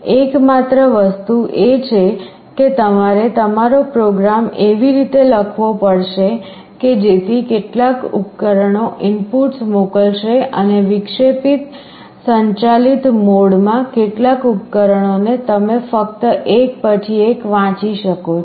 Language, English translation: Gujarati, The only thing is that you have to write your program in such a way some of the devices will be sending the inputs and interrupt driven mode some of the devices you can just read them one by one